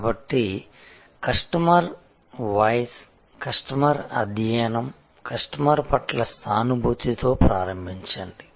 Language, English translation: Telugu, So, start with the customer, voice of the customer, study at the customer, empathy for the customer